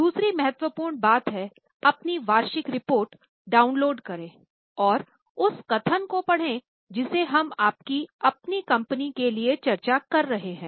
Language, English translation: Hindi, Second important thing is download your annual report and read the statement which we are discussing for your own company